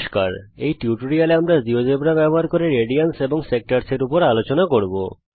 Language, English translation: Bengali, In this tutorial we will work on radians and sectors using Geogebra